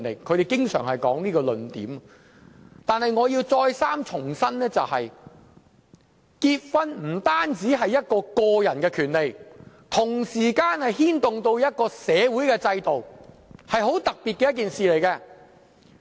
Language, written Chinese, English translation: Cantonese, 可是，我要重申，結婚不單是個人權利，同時間亦牽動社會制度，是很特別的一件事。, However I have to reiterate that marriage is not merely about individual rights but also a matter affecting the social system . It is a very special issue